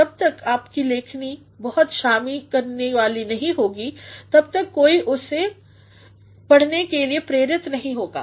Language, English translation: Hindi, Unless and until your writing is very involving no one will be induced to read that